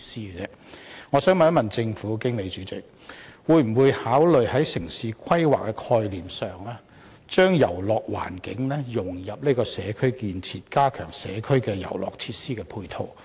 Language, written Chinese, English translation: Cantonese, 因此，我想問政府，在進行城市規劃時，會否考慮把遊樂元素融入社區建設，藉此加強社區遊樂設施的配套？, Thus I want to ask if the Government will in carrying out town planning consider integrating amusement elements into community infrastructure in order to enhance support for the play facilities in local communities?